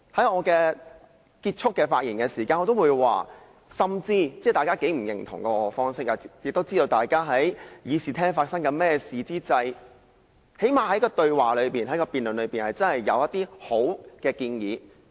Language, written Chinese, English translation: Cantonese, 我在發言結束前表示，即使大家都不認同我的做法，大家至少都知道會議廳內發生甚麼事，在辯論中可以提出一些好的建議。, Before concluding my speech I said that even though Members did not endorse my act at least we all know what was going on in the Chamber and some good suggestions might be proposed in a debate